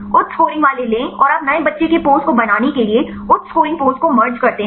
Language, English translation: Hindi, Take the high scoring ones and you merge the high scoring poses to generate new child pose